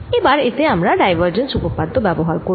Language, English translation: Bengali, so let us first take divergence theorem